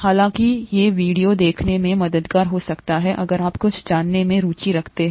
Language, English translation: Hindi, However, it might be helpful to see these videos, if you’re interested in knowing some details